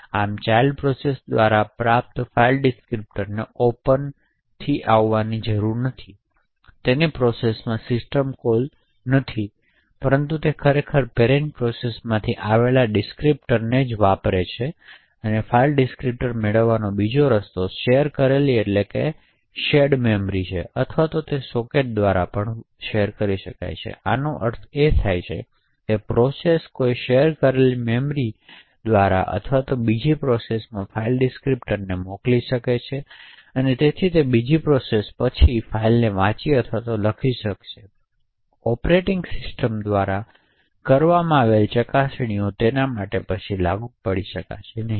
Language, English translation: Gujarati, Thus a file descriptor obtained by the child process does not have to come from an open system call in its process but rather it is actually inheriting the file descriptor from the parent process, another way to obtain a file descriptor is through shared memory or sockets, so this would mean that a process could send a file descriptor to an other process through a shared memory and therefore that second process can then read or write to the file without anymore explicits checks done by the operating system